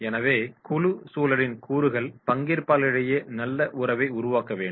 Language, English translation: Tamil, So elements of the group environment will be relationship among participants